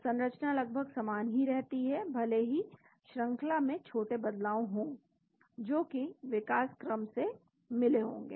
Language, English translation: Hindi, So, the structure remains almost the same even if there are small changes in the sequences that is the finding from evolution